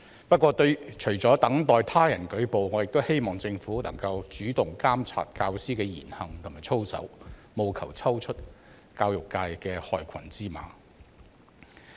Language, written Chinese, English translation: Cantonese, 不過，除了等待他人舉報，我亦希望政府能夠主動監察教師的言行和操守，務求抽出教育界的害群之馬。, However besides waiting for reports from others I also wish that the Government will take the initiative to monitor the words deeds and conduct of teachers with a view to identifying the black sheep of the education sector